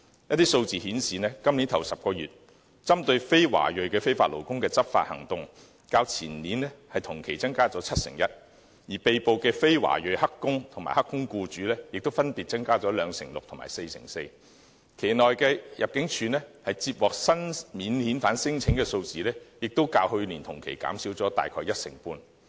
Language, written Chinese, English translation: Cantonese, 根據數字顯示，今年首10個月，針對非華裔非法勞工的執法行動，較前年同期增加七成一；而被捕的非華裔"黑工"及"黑工"僱主，亦分別增加兩成六及四成四；期內入境處接獲新免遣返聲請的數字，也較去年同期減少約一成半。, According to statistics enforcement actions against non - Chinese illegal workers in the first 10 months of this year were 71 % more than those conducted in the same period two years ago while the numbers of arrested non - Chinese illegal workers and employers of non - Chinese illegal workers increased by 26 % and 44 % respectively . New non - refoulement claims received by the Immigration Department in the same period this year dropped by about 15 % as compared with the same period last year